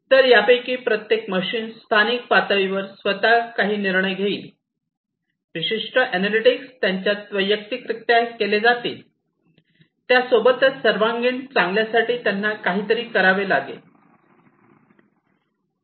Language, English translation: Marathi, So, each of these different machines will locally perform certain decisions themselves, certain analytics will be performed in them individually plus together also they will have to do something, for the holistic good